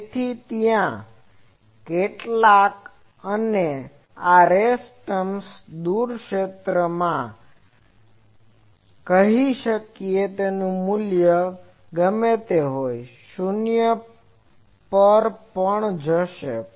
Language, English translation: Gujarati, So, there are something and this race terms in the far field, we can say whatever be their value they will go to 0